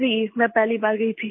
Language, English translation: Hindi, Ji…I'd gone for the first time